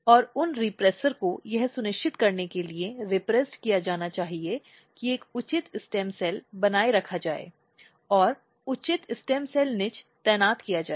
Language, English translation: Hindi, And those repressor need to be repressed to ensure that a proper stem cells are maintained and proper stem cell niche are positioned